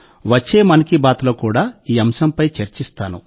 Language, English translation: Telugu, I will also touch upon this topic in the upcoming ‘Mann Ki Baat’